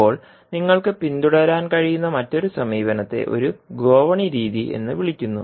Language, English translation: Malayalam, Now, another approach which you can follow is called as a ladder method